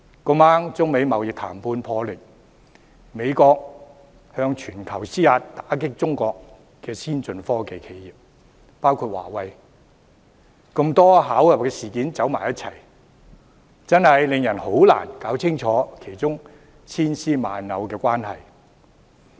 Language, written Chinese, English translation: Cantonese, 剛巧中美貿易談判破裂，美國向全球施壓以打擊包括華為的中國先進科技企業，種種事件巧合地一同發生，真的令人難以弄清當中千絲萬縷的關係。, It so happens that the negotiations between China and the United States have fallen apart and the United States has been forcing the world to crack down on Chinas advanced technology enterprises . Seeing the coincidental timing of various incidents occurring simultaneously one really finds it hard to sort out the intricacies involved